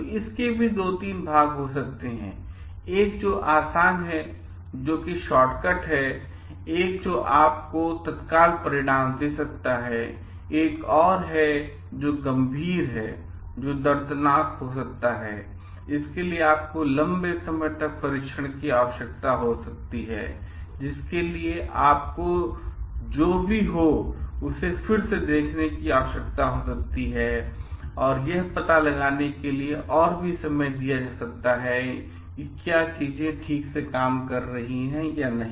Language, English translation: Hindi, So, there could be 2 3 parts; one which is easy, one which is short cut, one which you may give you immediate result, another one which is serious, which may painful, which may require long hours of testing, which may require revisiting whatever you have done time in again to find out, whether things are working properly or not